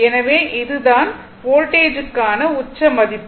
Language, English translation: Tamil, So, this is the peak value of the voltage